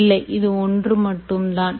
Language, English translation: Tamil, no, but this is just only one part